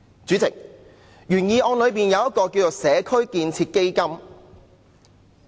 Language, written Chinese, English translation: Cantonese, 主席，原議案建議設立一個"社區建設基金"。, President the original motion proposes the establishment of a community building fund